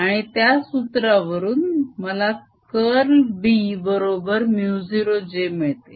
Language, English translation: Marathi, and the formula gave me that curl of b was equal to mu zero j